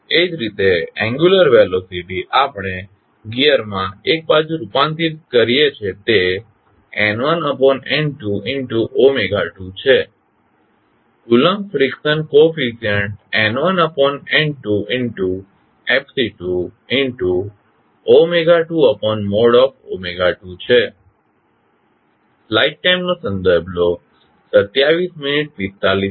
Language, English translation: Gujarati, Similarly, angular velocity we convert into the gear one side is N1 upon N2 omega 2, Coulomb friction coefficient is N1 upon N2 Fc2 omega 2 divided by mod omega 2